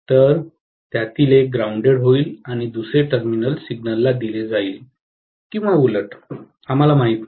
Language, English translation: Marathi, So, one of them will be grounded and the other terminal will be given to the signal or vice versa, we do not know, right